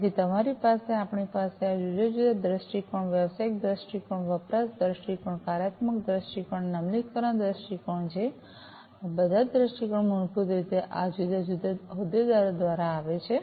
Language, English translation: Gujarati, So, you we have these different viewpoints the business viewpoint we have the business viewpoint, we have the usage viewpoint, we have the functional viewpoint and the implementation viewpoint, and all these viewpoints are basically coming from these different stakeholders